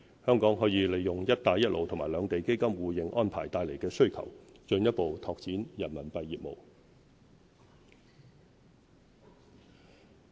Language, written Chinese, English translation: Cantonese, 香港可以利用"一帶一路"和兩地基金互認安排帶來的需求，進一步拓展人民幣業務。, The demand arising from the Belt and Road Initiative and the Mainland - Hong Kong Mutual Recognition of Funds Arrangement will enable Hong Kong to further expand its RMB business